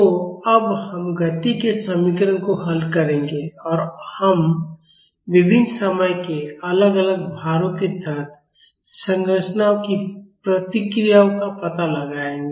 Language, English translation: Hindi, So, now, onwards we will solve the equation of motion and we will explore the responses of structures under various time varying loads